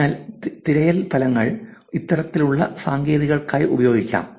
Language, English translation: Malayalam, So, the search results can be; search results can be used, these kinds of techniques